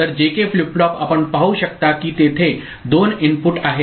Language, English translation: Marathi, So, JK flip flop you can see that two inputs are there